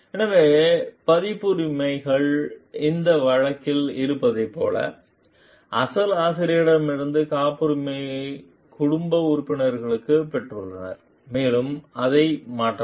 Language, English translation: Tamil, So, copyrights can be inherited like in this case the family members have inherited the copyright from the original author and it can be transferred also